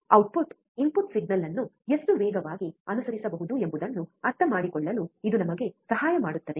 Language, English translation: Kannada, It can help us to understand, how fast the output can follow the input signal